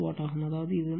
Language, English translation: Tamil, 6 watt that mean, this one